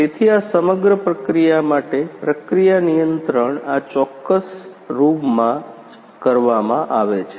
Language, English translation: Gujarati, So, for this entire process the process control is done from this particular room right